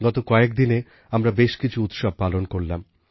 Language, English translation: Bengali, We celebrated quite a few festivals in the days gone by